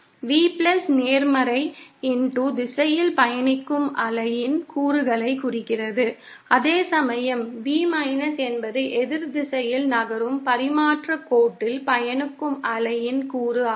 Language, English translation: Tamil, V+ represents the component of the wave travelling in the positive x direction, whereas V is that component of the wave travelling in the transmission line that is moving in the opposite direction